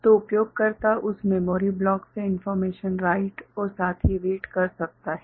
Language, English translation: Hindi, So, the user can write as well as read information from that memory block